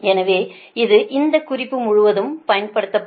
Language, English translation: Tamil, so this, so this notation will be used throughout this